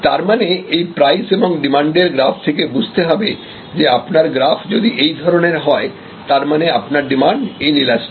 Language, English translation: Bengali, So, depending on this price verses demand graph, if this graph is actually of this shape this is means that it is the demand is inelastic